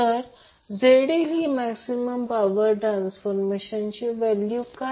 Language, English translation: Marathi, So, what will be the value of ZL maximum transfer